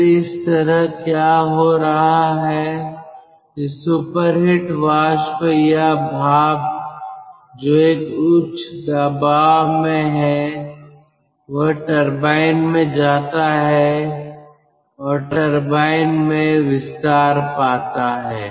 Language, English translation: Hindi, this superheated vapour or steam, which is also at a high pressure, that goes into a turbine and in the turbine it expands